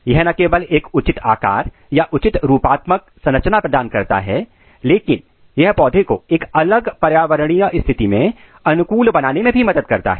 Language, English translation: Hindi, It not only provides a proper shape or proper morphological structure, but it also helps in plant to adapt in a different environmental condition this is very important